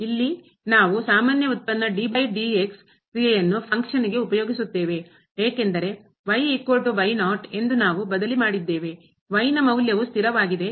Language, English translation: Kannada, Like here we have use the usual derivative over of this function which is a function of because we have substituted is equal to naught, the constant value of this